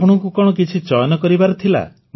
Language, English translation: Odia, Did you have to make any selection